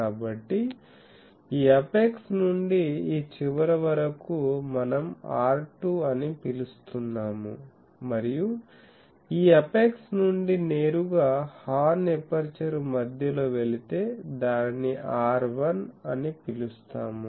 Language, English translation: Telugu, So, this distance from this apex to the this end that we are calling R2 and if we go straight from this apex to the center of the horn aperture, that we are calling R1